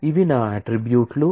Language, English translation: Telugu, So, these are my attributes